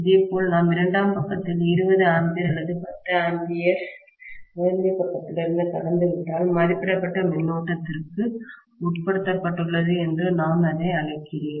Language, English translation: Tamil, Similarly if we pass 20 amperes on the secondary side or 10 amperes from the primary side, I call it as the transform is being subjected to rated current